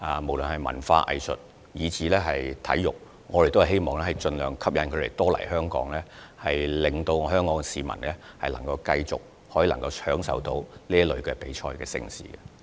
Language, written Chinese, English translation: Cantonese, 無論是文化、藝術及體育活動，我們都希望盡量吸引來自世界各地的主辦者來港，令市民繼續享受各類比賽和盛事。, Whether it be cultural arts or sports events we hope to attract as many organizers from around the world as possible to Hong Kong so that the public will continue to enjoy these kinds of competitions and events